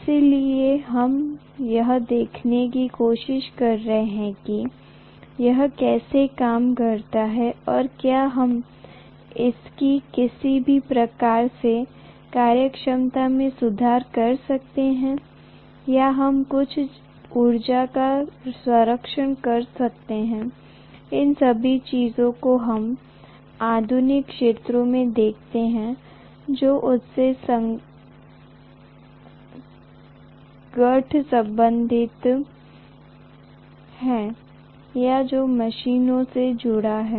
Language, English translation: Hindi, So we are trying to look at how it works and whether we can improve any of its efficiency, whether we can conserve some energy, all these things we look at as research areas which are aligned or which are connected to the machines